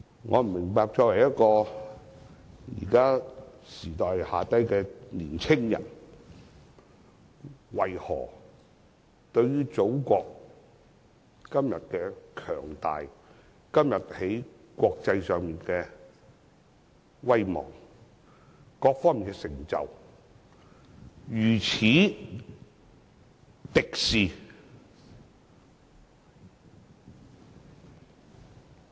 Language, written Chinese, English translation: Cantonese, 我不明白作為一名時下年青人，為何對於祖國今天的強大，今天在國際上的威望，各方面的成就，如此敵視？, It is beyond my comprehension that a young man can be so hostile towards the Motherlands present powerful strength its international reputation and achievements on all fronts